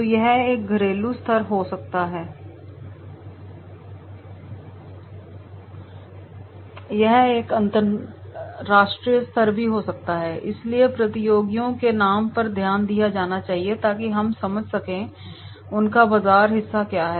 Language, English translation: Hindi, So it may be a domestic level, it may be an international level, so names of the competitors are to be taken into consideration, so that we can understand that is what is their market share